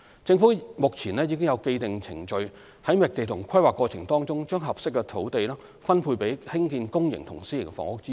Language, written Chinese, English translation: Cantonese, 政府目前已有既定程序於覓地和規劃過程中把合適的土地分配作興建公營和私營房屋之用。, The Government currently has established procedures in the allocation of sites for public and private housing purposes when undergoing the site searching and planning process